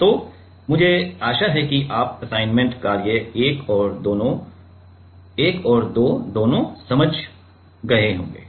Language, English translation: Hindi, So, I hope that you have understood assignment 1 and 2 both so